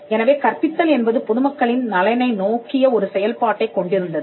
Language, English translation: Tamil, So, teaching had a function that was directed towards the good of the public